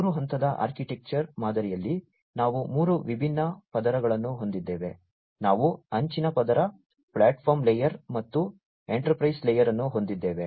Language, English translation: Kannada, In this three tier architecture pattern, we have three different layers we have the edge layer, the platform layer and the enterprise layer